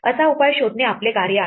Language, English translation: Marathi, Our task is to find such a solution